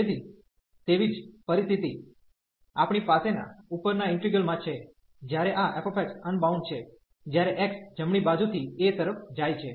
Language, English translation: Gujarati, So, the same situation like we have in the above integral that this f x is unbounded, when x goes to a from the right hand side